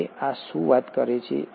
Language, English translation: Gujarati, Now what does this talk about